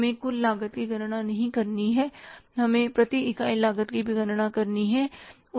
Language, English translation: Hindi, We will have to calculate the per unit cost also